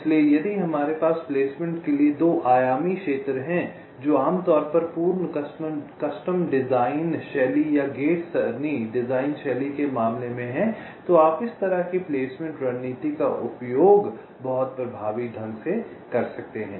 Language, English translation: Hindi, ok, so if we have a two dimensional area for placement, which is typically the case for a full custom design style or a gate array design style, then you can use this kind of a placement strategy very effectively